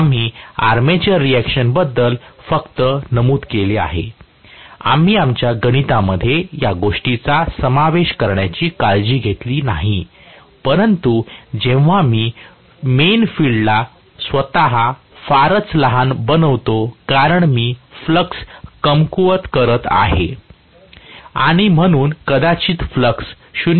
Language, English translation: Marathi, We just mentioned about the armature reaction, we never took care of including that in our calculations but when I make the main field flux itself very very small, because I am weakening the flux by and by, so, originally maybe the flux was 0